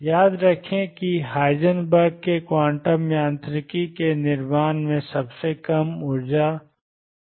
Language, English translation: Hindi, Recall that the lowest energy in the Heisenberg’s formulation of quantum mechanics was also h cross omega by 2